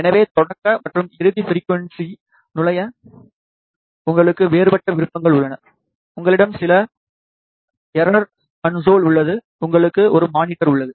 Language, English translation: Tamil, So, you have different options to enter the start and end frequency ya some error console and you have a monitor as well